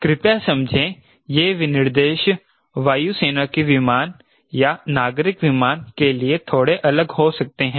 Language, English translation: Hindi, specifications maybe slightly different for air, military aircraft or civil aircraft